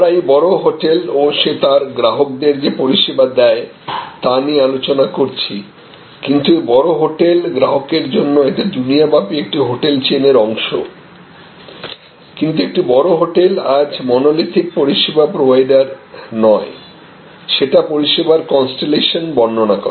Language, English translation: Bengali, So, we were discussing about this large hotel and the service it provides to it is customers, but at the backend the same large hotel is today even though to the customer it is appearing to be one hotel chain spread across the world, but a hotel today, a large hotel today represents a constellation of service rather than a monolithic service provider